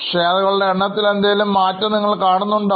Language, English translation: Malayalam, Do you see any moment in the number of shares